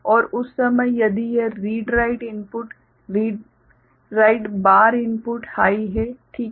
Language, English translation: Hindi, And at that time if this read write input, read write bar input is high ok